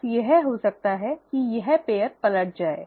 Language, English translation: Hindi, It can just be that this pair can be flipping over